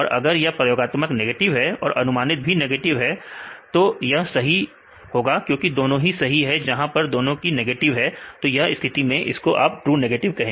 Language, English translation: Hindi, Then if it is negative experimental and predicted somewhere minus; then this is true because both are correct where both are in this case it is negative; so even in this case it is true negative